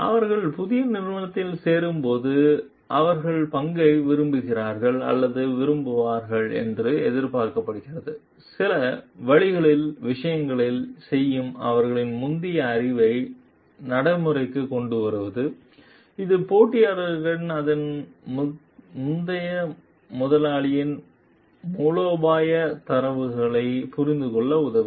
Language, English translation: Tamil, And when they join in the new organization they are expected to like share or like do things in certain ways putting their previous knowledge into practice which will help the competitor to understand maybe the strategic moves of its earlier employer